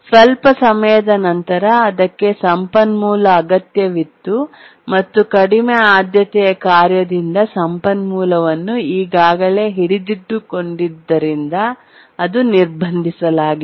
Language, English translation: Kannada, After some time it needed the resource and it blocked because the resource is already being held by the low priority task